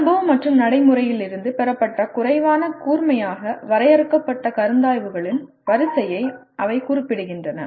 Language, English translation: Tamil, They refer to an array of less sharply defined considerations derived from experience and practice